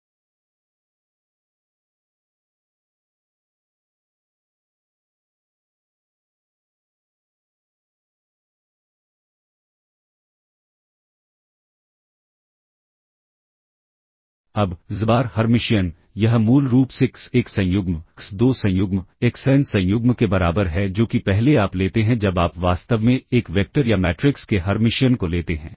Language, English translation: Hindi, Now, xbar Hermitian, this is basically equal to x1 conjugate, x2 conjugate, xn conjugate that is first you take that is when you take the Hermitian of a vector or matrix in fact